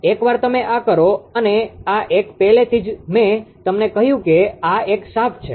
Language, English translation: Gujarati, Once you do this and ah this one already I told you that ah this a shaft